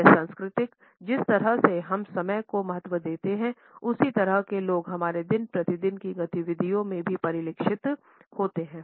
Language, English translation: Hindi, These cultural orientations towards the way we value time as people are reflected in our day to day activities also